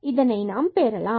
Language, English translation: Tamil, So, we can do that